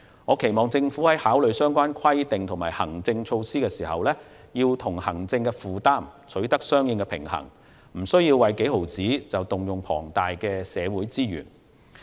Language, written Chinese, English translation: Cantonese, 我期望政府考慮相關規定和行政措施時，要與行政負擔取得平衡，避免為微不足道的金額而動用龐大的社會資源。, I hope the Government will in formulating relevant regulations and administrative measures strike a balance between regulation and administrative burden so as to avoid using huge social resources for tracing insignificant amounts